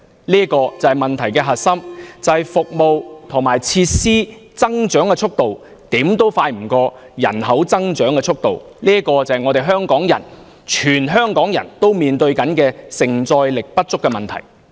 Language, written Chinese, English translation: Cantonese, 這就是問題的核心所在，就是服務和設施的增長速度追不上人口增長速度，這就是全香港市民正要面對的社會承載力不足的問題。, So this is where the crux of the matter lies the rate at which public services and facilities are increased fails to catch up with the growth in population . This problem of inadequate social carrying capacity is precisely what Hong Kong people are about to face